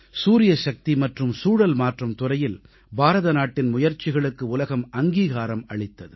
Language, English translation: Tamil, The world duly took notice of India's efforts in the areas of Solar Energy & Climate Change